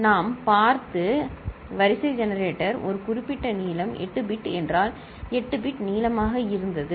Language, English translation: Tamil, Sequence generator we have seen where we had seen a particular length if it is 8 bit, it is you know, 8 bit long it was, right